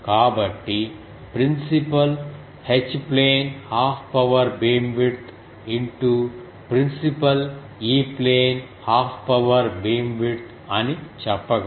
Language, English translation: Telugu, So, can I say that principal E plane half power beamwidth into principal H plane half power beamwidth